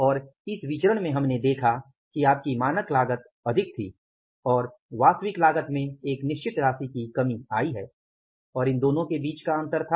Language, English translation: Hindi, And in this variance we have seen that your standard cost was more and actual cost has come down by a certain amount and the difference between these two was